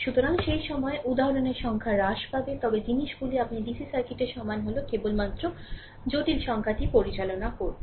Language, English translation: Bengali, So, at that time number of example will be reduced, but things are same as your DCs circuit only thing is that there will handle complex number right